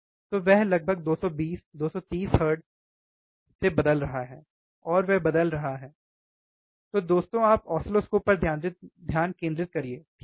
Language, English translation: Hindi, So, he is changing from almost 220, 230 hertz, right 230 hertz, and he is changing so, guys you focus on the oscilloscope, alright